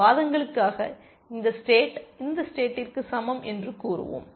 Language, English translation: Tamil, And let us for arguments sake say that, this state is equal to this state